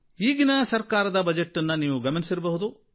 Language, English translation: Kannada, You must have seen the Budget of the present government